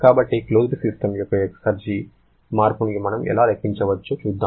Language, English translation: Telugu, So, let us see how we can calculate the exergy change of a closed system